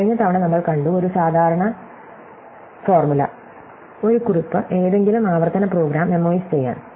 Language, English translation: Malayalam, And we saw last time, that there is a generic formula, or a recipe, to make any recursive program memoized